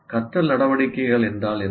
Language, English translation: Tamil, What are learning activities